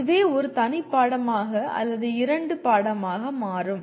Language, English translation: Tamil, That itself become a separate course or two